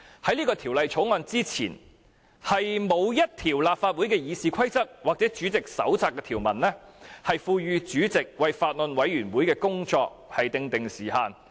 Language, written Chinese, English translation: Cantonese, 在這項《條例草案》前，立法會《議事規則》或委員會主席手冊均沒有條文賦予法案委員會主席為工作訂定限期。, Before this Bill there is no provision in the Rules of Procedure of the Legislative Council or the Handbook for Chairmen of Bills Committees that empowers the Chairman to set a deadline for the scrutiny of the Bills Committee